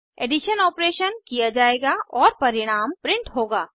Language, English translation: Hindi, The addition operation will be performed and the result will be printed